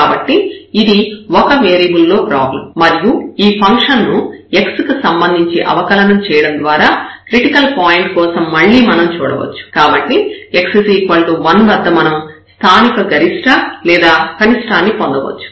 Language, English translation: Telugu, So, this is a 1 variable problem and we can look again for the critical point were just by differentiating this function with respect to x so which comes to be at x is equal to 1 there might be a point of local maximum or minimum